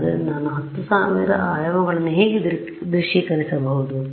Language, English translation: Kannada, So, how do I visualize 10000 dimensions